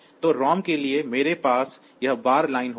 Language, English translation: Hindi, So, for the ROM; I will have that read bar line